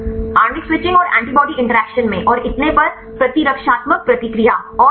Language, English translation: Hindi, Molecular switching and in antibody interactions and so on, immunological response and all